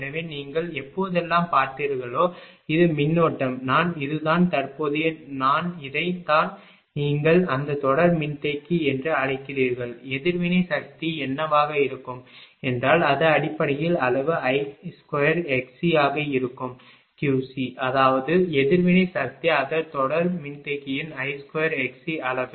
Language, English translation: Tamil, So, whenever you you have seen this is the current, I this is the current I and this is your what you call that series capacitor; then what is will be reactive power it will be basically magnitude I square into x c that is q c, that is reactive power that ah it is magnitude of I square into x c for the series capacitor